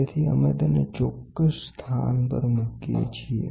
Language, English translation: Gujarati, So, we place it at the exact location